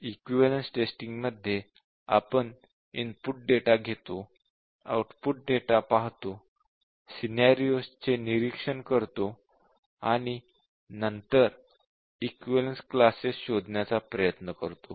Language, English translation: Marathi, In equivalence testing we just look at the input data, we look at the output data, and we look at the scenarios and then we try to find the equivalence classes